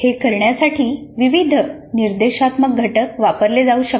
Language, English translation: Marathi, And to do this various instructional components can be used